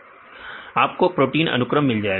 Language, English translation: Hindi, You can get the sequence protein